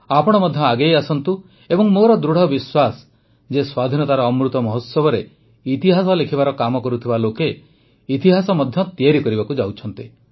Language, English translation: Odia, You too come forward and it is my firm belief that during the Amrit Mahotsav of Independence the people who are working for writing history will make history as well